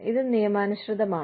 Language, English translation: Malayalam, This is lawful